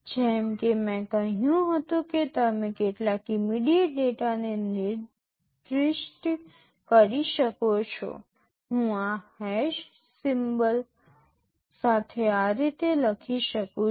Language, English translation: Gujarati, Like as I said you can specify some immediate data, I can write like this with this hash symbol